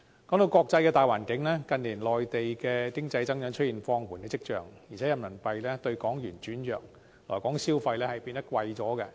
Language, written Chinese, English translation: Cantonese, 關於國際大環境，近年內地經濟增長出現放緩跡象，加上人民幣兌港元轉弱，令來港消費變得較為昂貴。, Regarding the international environment there are signs of an economic slowdown in the Mainland in recent years and coupled with weakening exchange rates for Renminbi to Hong Kong Dollar spending in Hong Kong has become more expensive